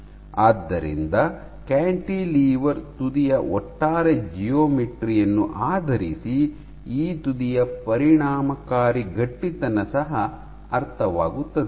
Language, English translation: Kannada, So, based on the overall geometry of the cantilever tip, what you also have is an effective stiffness of this tip ok